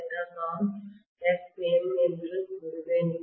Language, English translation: Tamil, That is what I would say as Xm